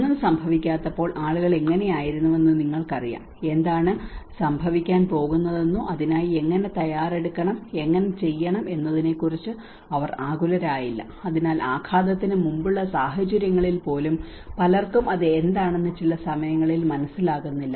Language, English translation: Malayalam, You know how it was when nothing has happened people remained calm, they did not bothered about what is going to happen, how to prepare for it or how to, so even in the pre impact situations many at times people do not realise what it is going to happen